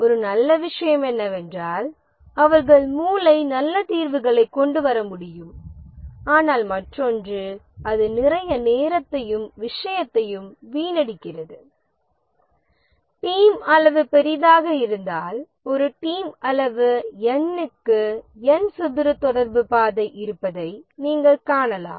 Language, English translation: Tamil, One good thing is that they can brainstorm come up with good solutions but then the other thing that it wastes a lot of time and specially if the team size is large you can see that there are for a theme size of n, there are n square communication path